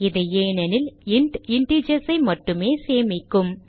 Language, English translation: Tamil, That is because int can only store integers